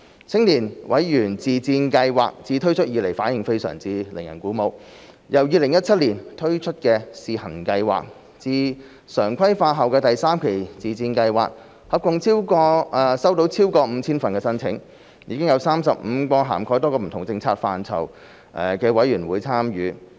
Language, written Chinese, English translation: Cantonese, 青年委員自薦計劃自推出以來反應非常令人鼓舞，由2017年推出的試行計劃至常規化後的第三期自薦計劃，合共收到超過 5,000 份申請，已有35個涵蓋多個不同政策範疇的委員會參與。, The feedback on the Member Self - recommendation Scheme for Youth MSSY has been very encouraging since its launch . From the pilot scheme introduced in 2017 to Phase III of MSSY following its regularization a total of 5 000 applications were received and its participants included 35 committees covering a wide spectrum of policy areas